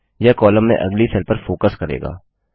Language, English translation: Hindi, This will shift the focus to the next cell in the column